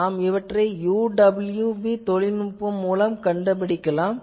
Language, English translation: Tamil, So, can we detect it by this UWB technology